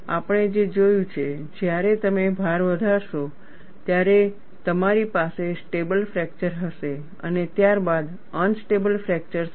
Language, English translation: Gujarati, What we have seen, when you increase the load you will have a stable fracture, followed by unstable fracture